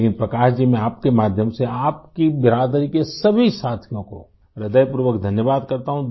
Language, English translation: Hindi, Prakash ji, through you I, thank all the members of your fraternity